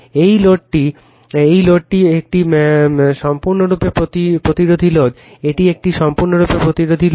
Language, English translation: Bengali, This load is a purely resistive load right, this is a purely resistive load